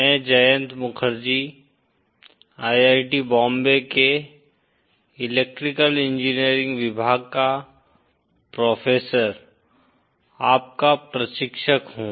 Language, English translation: Hindi, IÕm your instructor, Prof Jayanta Mukherjee of Electrical engineering Dept of IIT Bombay